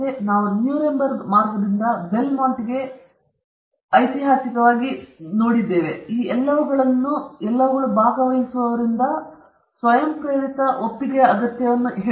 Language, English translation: Kannada, Again, all these things which we have seen right from Nuremberg trail to Belmont, all of them emphasized the need for voluntary consent from participants